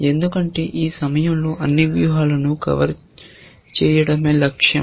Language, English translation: Telugu, Because we want to cover all strategies